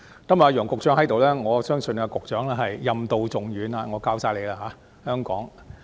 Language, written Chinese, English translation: Cantonese, 今天楊局長也在席，我相信他是任重道遠，香港全靠他。, Secretary Nicholas YANG is also present today . I believe that he is charged with an important duty and Hong Kong hinges on him